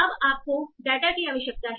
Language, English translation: Hindi, You need the data